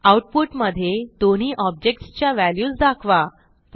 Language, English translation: Marathi, Display the values for both the objects in the output